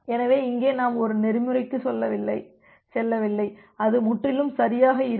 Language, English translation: Tamil, So, here we are not going for a protocol which will be completely correct